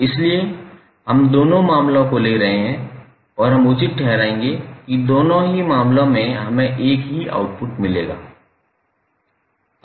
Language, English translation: Hindi, So we are taking both of the cases and we will justify that in both of the cases we will get the same output